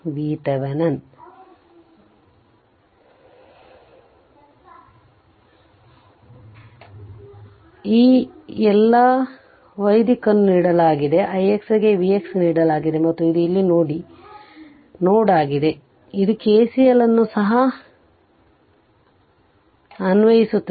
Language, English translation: Kannada, So, all all this i y direction is given i x is given V x is given and this is node a here we will apply KCL also right